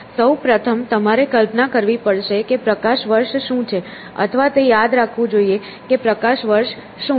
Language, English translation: Gujarati, First of all, you have to imagine what is a light year or remember what is a light year